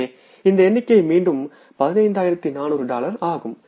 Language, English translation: Tamil, So this figure is again dollar, 15,400s